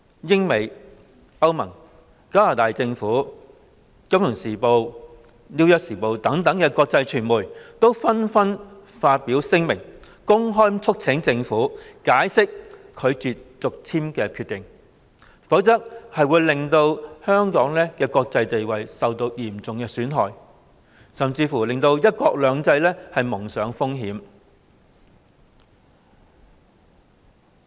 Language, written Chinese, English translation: Cantonese, 英國、美國、歐盟及加拿大政府，以及《金融時報》、《紐約時報》等國際傳媒，紛紛發表聲明，公開促請政府解釋拒絕續簽工作證的決定，否則會令香港的國際地位嚴重受損，甚至令"一國兩制"蒙上風險。, The Governments of the United Kingdom the United States the European Union and Canada; and international media such as the Financial Times and the New York Times have issued public statements one after another urging the Government to explain its decision of refusing the extension of Victor MALLETs work visa; otherwise Hong Kongs international reputation will be seriously damaged and one country two systems may have the risk of failure